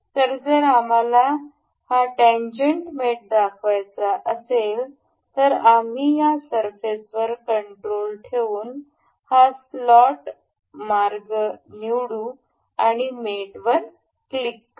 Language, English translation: Marathi, So, if we want to demonstrate this tangent mate we will select this surface and this slot path holding the control and click on mate